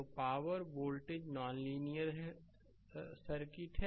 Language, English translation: Hindi, So, power voltage is non linear